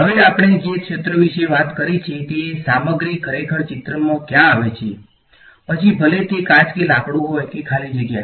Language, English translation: Gujarati, Now fields we have spoken about where does the material actually come into picture, whether its glass or wood or free space